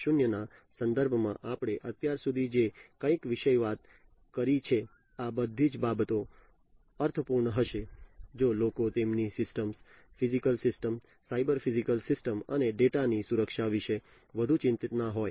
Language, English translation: Gujarati, 0 whatever we have talked about so far, all these things would be meaningful, if people are not much concerned about the security of their systems, the physical systems, the cyber systems, the cyber physical systems in fact, and also the security of the data